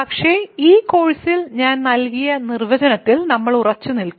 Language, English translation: Malayalam, But, in this course we will stick to the definition that I gave